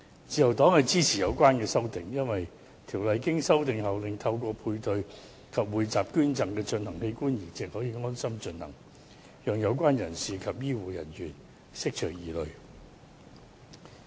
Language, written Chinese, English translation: Cantonese, 自由黨支持有關修訂，因為《人體器官移植條例》經修訂後，令透過配對及匯集捐贈而進行的器官移植可以安心進行，以釋除有關人士及醫護人員疑慮。, The Liberal Party supports the relevant amendment because the Governments amendments to the Human Organ Transplant Ordinance can set the peoples minds at rest for conducting the transplant of organs under paired or pooled donation arrangement thereby addressing the concerns of the relevant parties and health care workers